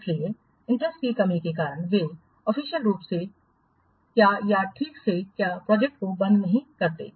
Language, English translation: Hindi, So, due to lack of interest, they do not officially or properly close the work project